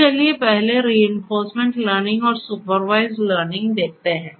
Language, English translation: Hindi, So, let us take up reinforcement and supervised learning first